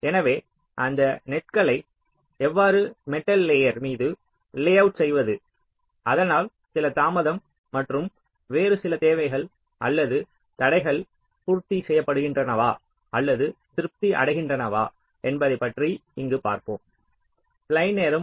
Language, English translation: Tamil, so how to layout those nets on the metal wires so that some delay and some other requirements are constraints, are met or satisfied